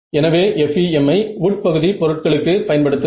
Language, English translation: Tamil, So, use FEM for the interior objects and use